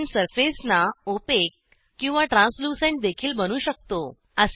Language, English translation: Marathi, We can also make the surfaces opaque or translucent